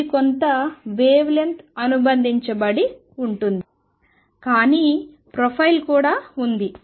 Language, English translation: Telugu, So, there is some wavelength associated, but there is also profile